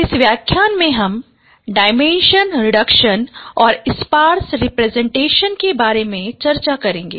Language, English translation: Hindi, In this lecture we will discuss about dimension reduction and sparse representation